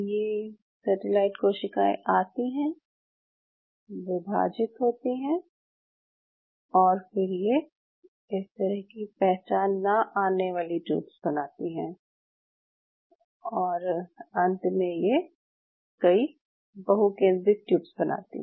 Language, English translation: Hindi, These satellite cells come, they divide and then they form these kind of non identifying tubes and eventually they form multiple multi nuclated tubes